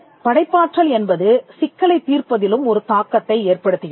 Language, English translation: Tamil, Now, creativity also has a bearing on problem solving